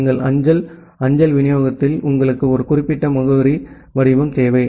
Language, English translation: Tamil, In case of our postal mail delivery you require a particular addressing format